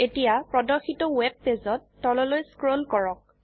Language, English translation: Assamese, Now, on the web page that is displayed, scroll down